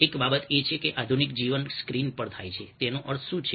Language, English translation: Gujarati, one of the things that happens is that modern life takes place on screen